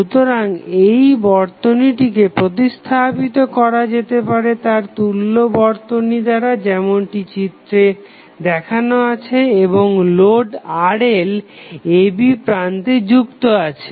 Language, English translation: Bengali, So, this circuit can be can be replaced by the equivalent circuit as shown in the figure and the load Rl is connected across the terminal AB